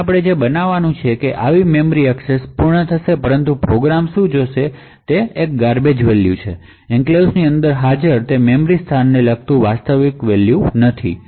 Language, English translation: Gujarati, So what is going to happen over here is that such a memory access would complete but what the program would see is some garbage value and not the actual value corresponding to that memory location present inside the enclave